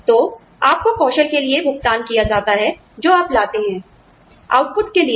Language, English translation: Hindi, So, you are paid for the skills, you bring, not for the output